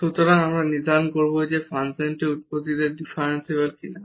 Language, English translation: Bengali, So, we will determine whether the function is differentiable at the origin or not